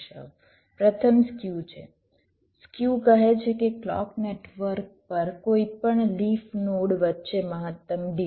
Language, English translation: Gujarati, skew says maximum delay different between any leaf nodes on the clock network